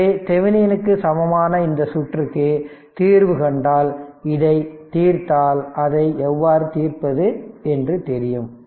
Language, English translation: Tamil, So, if you solve the Thevenin equivalent this circuit, if you solve this if you solve this circuit right you solve it because now you know how to solve it right